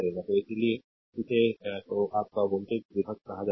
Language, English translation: Hindi, So, that is why it is called your voltage divider